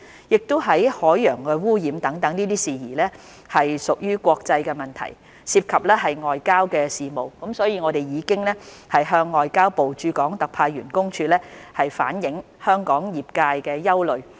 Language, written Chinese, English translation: Cantonese, 由於海洋污染等事宜屬國際問題，涉及外交事務，所以我們已向外交部駐港特派員公署反映香港業界的憂慮。, Given that issues such as marine pollution are international issues in the realm of foreign affairs we have relayed the concerns of local sectors to the Office of the Commissioner of the Ministry of Foreign Affairs in Hong Kong